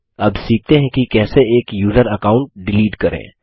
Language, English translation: Hindi, Now let us learn how to delete a user account